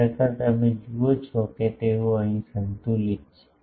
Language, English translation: Gujarati, Actually, you see they are counter balanced here